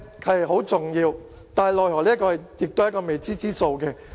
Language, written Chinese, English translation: Cantonese, 這是很重要的問題，奈何也是未知之數。, This is an important question but unfortunately the answer is unknown